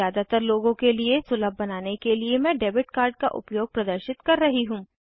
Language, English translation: Hindi, In order to make it accessible to most people , i am going to demonstrate the use of debit card